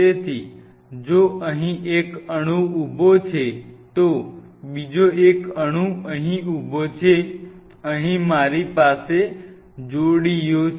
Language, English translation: Gujarati, So, if this is one molecule standing here another one molecule standing here I have couplers